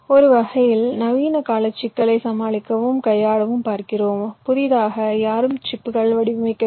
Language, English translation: Tamil, you see, to tackle and handle the modern day complexity, no one designs the chips from scratch